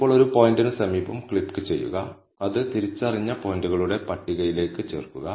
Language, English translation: Malayalam, Now, click it near a point, adds it to the list of the identified points